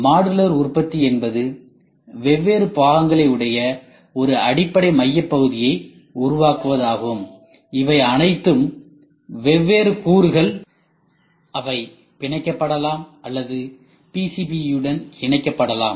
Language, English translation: Tamil, Modular product is a creation of a basic core unit to which different elements, all these things are different elements which can be fastened or which can be attached to a PCB